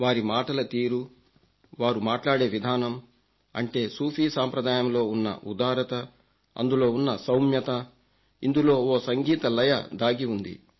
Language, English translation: Telugu, Their choice of words, their way of talking, the generosity of the Sufi tradition, its sublimity, its lyricism, I could experience it all